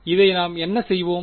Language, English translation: Tamil, So, what am I doing